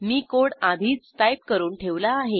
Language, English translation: Marathi, I have already typed the code